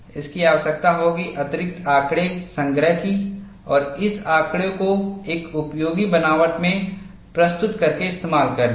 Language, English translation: Hindi, That would require collection of additional data and presentation of data in a useful fashion for us to use